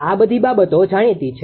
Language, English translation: Gujarati, All this things are known